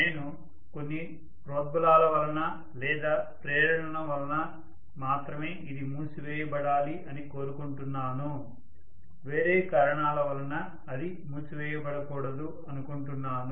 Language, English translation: Telugu, If I want this to be closed only on some instigation, some stimulation, I do not want it to close otherwise